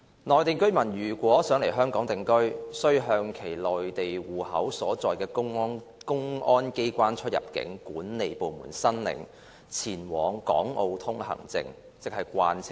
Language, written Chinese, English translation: Cantonese, 內地居民如欲來港定居，須向其內地戶口所在地的公安機關出入境管理部門申領《前往港澳通行證》。, Mainland residents who wish to settle in Hong Kong must apply for Permits for Proceeding to Hong Kong and Macao from the Exit and Entry Administration Offices of the Public Security Bureau of the Mainland at the places of their household registration